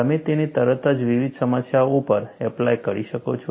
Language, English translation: Gujarati, You could immediately apply to a variety of problems